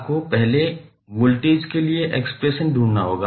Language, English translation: Hindi, You have to first find the expression for voltage